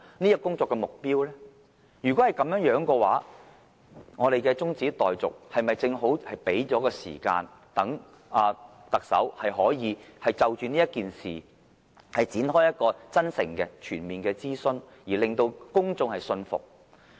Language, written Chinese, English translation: Cantonese, 如果是這樣，立法會對這項議案中止待續，是否正好給予特首時間，讓她可以就這事件展開真誠的全面諮詢，從而令公眾信服。, If the answer is yes can we say that this adjournment motion of the Council can serve the precise purpose of giving the Chief Executive time for launching a sincere and full - scale consultation to win over the public on the co - location arrangement?